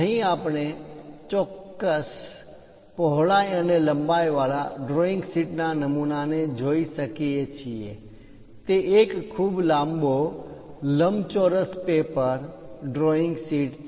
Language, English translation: Gujarati, So, here we can see a drawing sheet template having certain width and a length; it is a very long rectangular sheet drawing paper